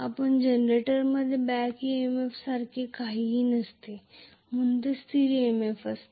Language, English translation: Marathi, No problem because in a generator there is nothing like back EMF so it is the EMF constant,right